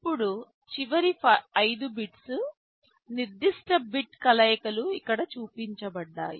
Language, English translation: Telugu, The last 5 bits, now the specific bit combinations are shown here